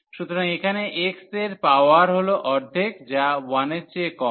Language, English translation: Bengali, So, here the power of x power is half which is less than 1